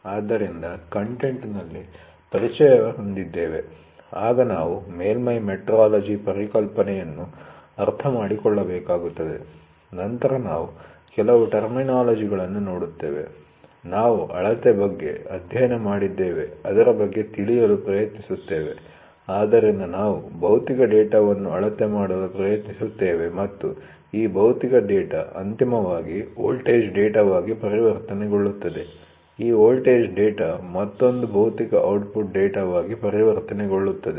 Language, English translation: Kannada, So, the content we will have introduction, then, we will have to understand surface metrology concepts then, we will look into certain terminologies then, we will try to see like we studied about measurement, so we have we will try to measure a physical data and this physical data finally gets converted into a voltage data, this voltage data in turn gets converted into another physical output data